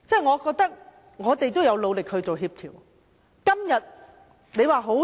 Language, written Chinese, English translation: Cantonese, 我覺得我們有努力做協調。, In my opinion we have made great efforts in coordination